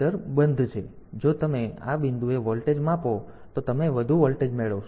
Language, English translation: Gujarati, So, if you measure the voltage at these point, so you will get high